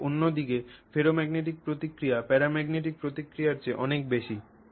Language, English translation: Bengali, But on the other hand the ferromagnetic response is much much greater than paramagnetic response